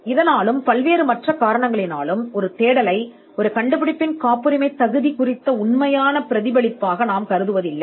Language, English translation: Tamil, Now for this and for many more reasons we do not consider a search to be a perfect reflection of patentability of our invention